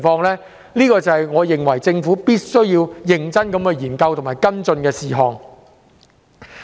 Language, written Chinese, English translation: Cantonese, 這些都是我認為政府必須認真研究和跟進的事項。, I consider it necessary for the Government to look into and follow up on all these matters